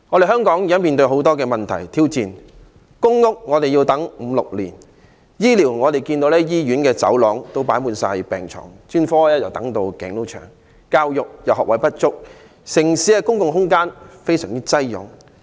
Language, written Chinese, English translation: Cantonese, 香港現時面對很多問題及挑戰：輪候公屋需時五六年；在公營醫療方面，醫院的走廊放滿病床，專科等候時間極長；教育學位不足，城市的公共空間亦非常擠擁。, Hong Kong is now facing a lot of problems and challenges . It takes five or six years to wait for a public rental housing unit . On public health care inpatient beds fill up hospital corridors and the waiting time for specialist services is extremely long